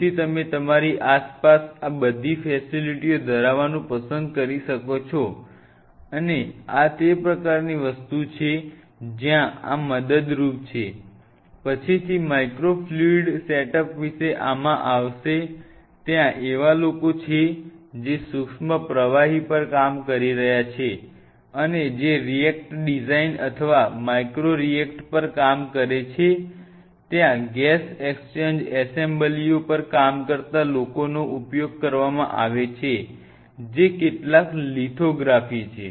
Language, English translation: Gujarati, So, you may love to have all these facilities in an around you and these are the kind of things where these are helpful for will be coming later into this about micro fluidic set up there are people who are working on micro fluidics there are people who works on reacted designs or micro reactors there are working were use working on gas exchange assemblies there a people who are some lithography